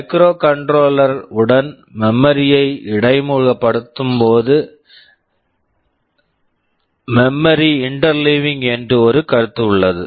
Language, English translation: Tamil, When you interface memory with the microcontroller, there is a concept called memory interleaving